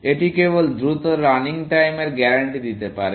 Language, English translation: Bengali, This is simply to guarantee faster running time